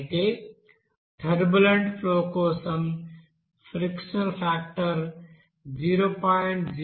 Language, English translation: Telugu, Whereas for turbulent flow, this friction factor is you know 0